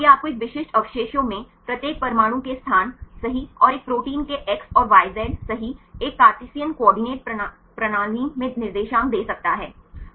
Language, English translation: Hindi, So, it can give you the exact location of each atom right in a specific residues and a protein right X and Y Z coordinates in a Cartesian coordinate system